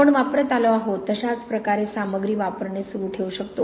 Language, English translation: Marathi, We could just continue to use materials in the same way we have been using